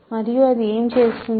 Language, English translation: Telugu, And what does it do